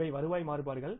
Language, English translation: Tamil, These are the revenue variances